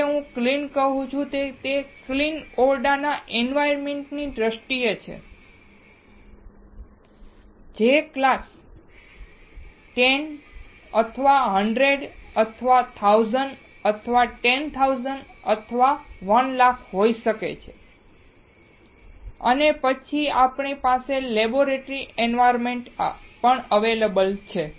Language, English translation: Gujarati, When I say clean it is terms of clean room environment, which can be class 10, class 100, class 1000, class 10000, class 100000 and then we have the laboratory environment